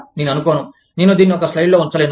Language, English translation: Telugu, I do not think, i am supposed to have it on a slide